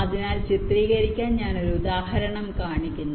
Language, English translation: Malayalam, ok, so i am showing an example to illustrate